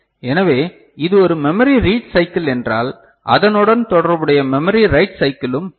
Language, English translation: Tamil, So, if that is a memory read cycle we’ll be having a corresponding memory write cycle ok